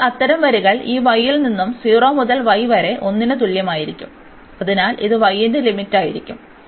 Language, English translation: Malayalam, And now such lines will vary from this y is equal to 0 to y is equal to 1, so that will be the limit for y